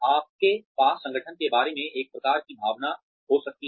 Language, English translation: Hindi, You may have, one sort of feeling, about the organization